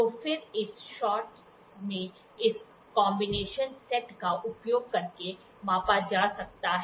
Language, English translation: Hindi, So, then this in one shot can be measured using this combinational set